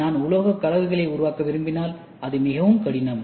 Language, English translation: Tamil, And if I want to make alloys, it is very difficult